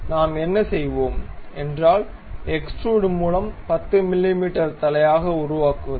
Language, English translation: Tamil, So, what we will do is construct extruded boss it will be 10 mm head